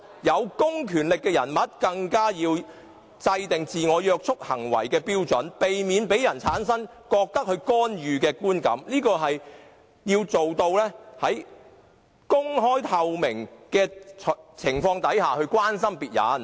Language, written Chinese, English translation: Cantonese, 有公權力的人，更要制訂自我約束行為的標準，避免讓人產生他們在作出干預的觀感；他們要做到的是，在公開和透明的情況下關心別人。, Those having public power should even lay down the criteria for self - restraint so as to avoid giving others the impression that they are interfering . What they should do is to show concern in an open and transparent manner